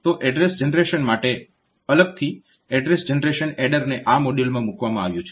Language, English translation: Gujarati, So, for address generation, a separate address generation adder is put into this module